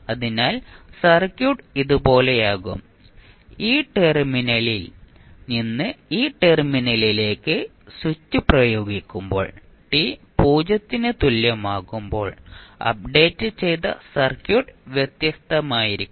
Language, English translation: Malayalam, So, circuit would be like this and when at time t is equal to 0 when you apply the switch from this terminal to this terminal then the updated circuit would be different